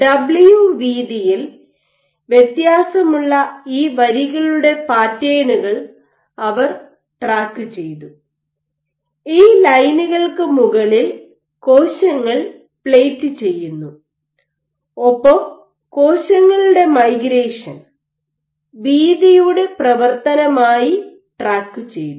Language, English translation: Malayalam, What they did was they pattern these lines which varied in their width, w and they tracked, you have these lines you plate cells on top of these lines and you track their migration and what they observed as a function of width